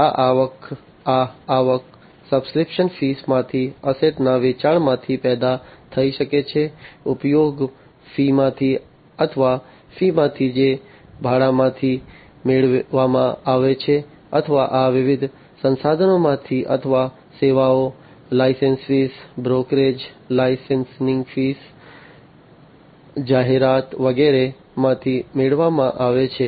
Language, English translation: Gujarati, These revenues could be generated from sales of assets from subscription fees, from usage fees or, from fees, that are obtained from the rental or the leasing out of these different resources or the services, the licensing fees, the brokerage, the advertising, etcetera